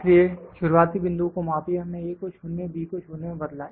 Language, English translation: Hindi, So, measure a start point, we changed A to 0 and B to 0